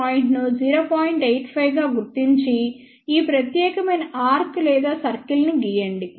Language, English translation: Telugu, 85 locate this particular point and approximately draw this particular arc or circle